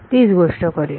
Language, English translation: Marathi, Do the same thing